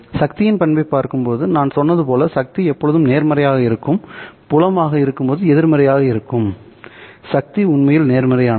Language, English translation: Tamil, As I said, when you look at the power characteristic of the power being power always being positive will mean that while the field is going negative the power is actually going positive